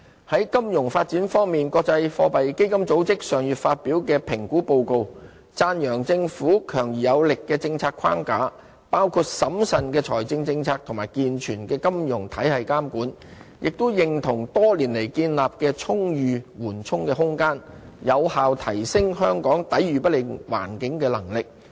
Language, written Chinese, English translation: Cantonese, 在金融發展方面，國際貨幣基金組織上月發表的評估報告讚揚政府強而有力的政策框架，包括審慎的財政政策及健全的金融體系監管，也認同多年來建立的充裕緩衝空間有效提升香港抵禦不利環境的能力。, In the area of financial development the International Monetary Fund issued a report last month which commended the Governments powerful and effective policy framework including its prudent fiscal policy and sound regulation of the financial system . The report also agreed that our concrete buffer built over the years can enhance Hong Kongs capacity against adverse market environment